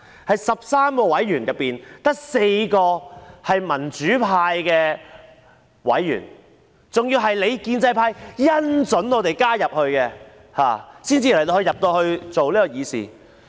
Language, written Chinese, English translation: Cantonese, 在13名委員之中，只有4人是民主派的委員，他們還要得到建制派"恩准"加入，才能夠議事。, Among its 13 members only 4 of them belong to the pro - democracy camp . Moreover we can take part in deliberations only because the pro - establishment camp granted us the gracious permission to join